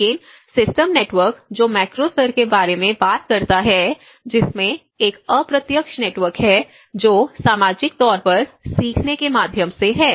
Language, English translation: Hindi, But the system networks which talks about the macro level which has an indirect network which is through the social learning